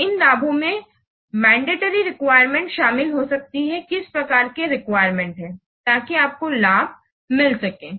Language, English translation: Hindi, So, these benefits, this might include mandatory requirement, what kind of requirements are must so that you may get a benefit